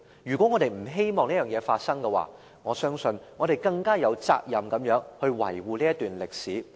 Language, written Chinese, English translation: Cantonese, 如果我們不希望這件事發生，我相信我們更有責任維護這段歷史。, If we hope to prevent this from happening I believe we have a greater responsibility to protect this period of history